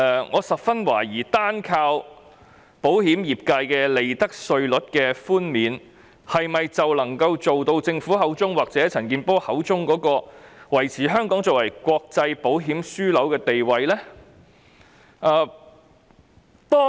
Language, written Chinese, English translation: Cantonese, 我十分懷疑單靠保險業界的利得稅寬免，是否便能夠做到政府或陳健波議員所說的，維持香港作為國際保險樞紐？, I highly doubt whether we can maintain Hong Kongs status as an international insurance hub simply by profits tax concessions for the insurance industry as the Government and Mr CHAN Kin - por have said